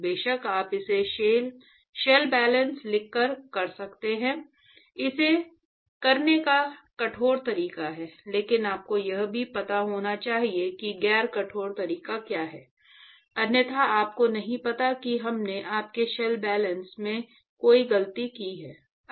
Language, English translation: Hindi, Of course, you can do it by writing shell balances, that is the rigorous way of doing it, but you must also know what is the non rigorous way, otherwise you do not know if we made a mistake in your shell balance